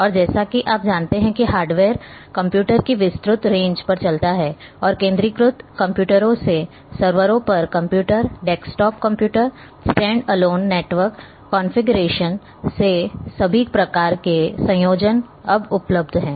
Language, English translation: Hindi, And as you know that hardware runs on wide range of computers and from centralized computers, computers on servers, desktop computers standalone network configuration all kinds of combinations are available now